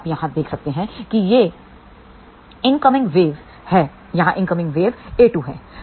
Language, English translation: Hindi, Now you can see here this is the incoming wave a 1; here is a incoming wave a 2